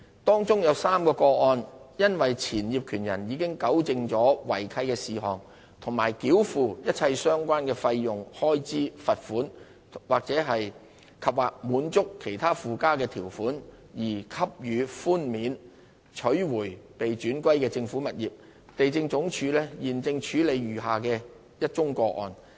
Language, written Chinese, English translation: Cantonese, 當中有3宗個案因前業權人已糾正違契事項及繳付一切相關的費用、開支、罰款及/或滿足其他附加的條款，而獲給予寬免，取回被轉歸政府的物業。地政總署現正處理餘下的1宗個案。, Of these four petition cases three were granted relief and the former owners got back the properties vested in the Government as they had purged the breaches and paid all relevant fees expenses fines andor complied with additional terms in other aspects while the remaining case is being handled by LandsD